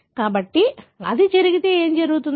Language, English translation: Telugu, So, if it does take place, what will happen